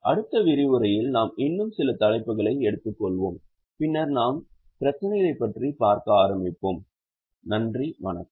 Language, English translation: Tamil, In the next session we will take a few more items and then we will start looking at the problems